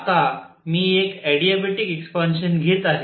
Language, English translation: Marathi, Now I am taking an adiabatic expansion